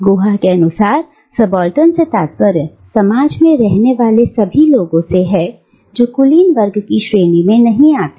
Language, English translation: Hindi, So, Guha defines subaltern as all those people within a society, who do not fall under the category of elite